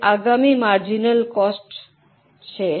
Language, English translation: Gujarati, Now, the next one is marginal cost